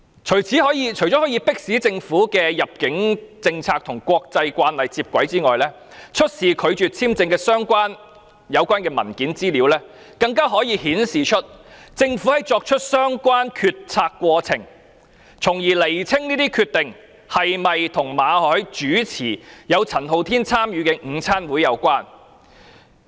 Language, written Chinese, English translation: Cantonese, 除了可以迫使政府的入境政策與國際慣例接軌外，出示拒發簽證的有關文件資料，更可顯示政府作出相關決策的過程，從而釐清有關決定是否與馬凱主持有陳浩天參與的午餐會有關。, Apart from forcing the Government to bring our immigration policy in line with the international practice disclosing the document relating to the visa rejection can also reveal the relevant decision - making process of the Government thereby clarifying whether the decision is related to Victor MALLETs hosting of the luncheon which Andy CHAN had participated